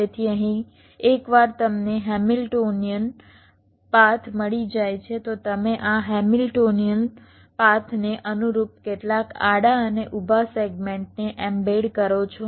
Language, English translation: Gujarati, so, once you got a hamiltionian path, you embed some horizontal and vertical segments corresponding to this hamilionian path